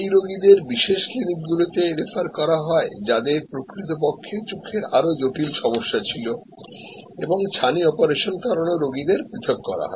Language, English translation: Bengali, Patients were referred to specialty clinics, who add actually more critical problem and patients for cataract surgery were segregated